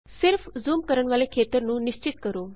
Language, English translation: Punjabi, Just specify the region to zoom into